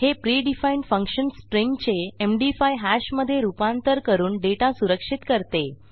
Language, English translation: Marathi, Its a predefined function that converts a string to a MD5 hash and allows you to secure your data